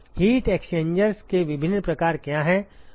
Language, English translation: Hindi, What are the different types of heat exchangers